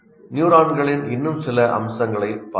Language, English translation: Tamil, Now let us look at a few more features of neurons